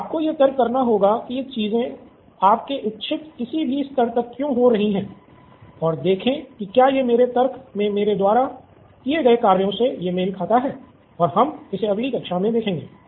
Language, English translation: Hindi, So you will have to do the reasoning on why these things are happening up to any level you want and see if it matches up to what I have done in my reasoning and we will see this next class